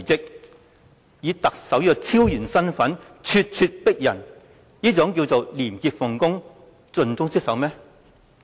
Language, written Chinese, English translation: Cantonese, 他以特首的超然身份咄咄逼人，這是廉潔奉公、盡忠職守嗎？, Can he be regarded as a person of integrity and dedicated to his duties?